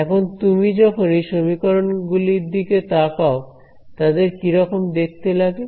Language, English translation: Bengali, Now, when you look at these equations, what do they what do they look like